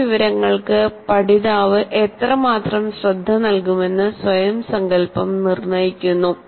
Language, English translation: Malayalam, So self concept determines how much attention, learner will give to new information